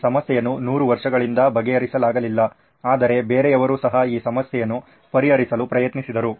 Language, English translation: Kannada, This problem was unsolved for 100 years but somebody else also tried to solve this problem